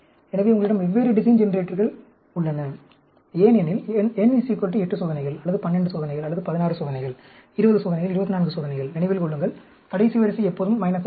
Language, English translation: Tamil, So, you have different design generators, for, the n is equal to 8 experiments, or 12 experiments, or 16 experiments, 20 experiments, 24 experiments, remember, that last row will, will be minus always